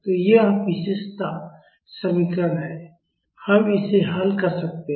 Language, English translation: Hindi, So, this is the characteristic equation, we can solve this